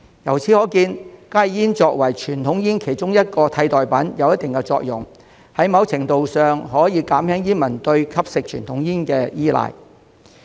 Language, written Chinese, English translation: Cantonese, 由此可見，加熱煙作為傳統煙其中一種替代品，有一定的作用，在某程度上可減輕煙民對吸食傳統煙的依賴。, From this we can see that HTPs as an alternative to conventional cigarettes have a certain role to play and can to a certain extent reduce smokers dependence on conventional cigarettes